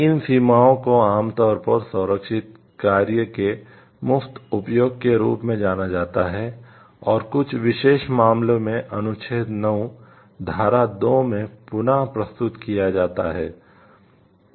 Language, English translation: Hindi, These limitations are commonly referred to as free uses of protected works, and are set forth in articles 9 section 2 reproduction in certain special cases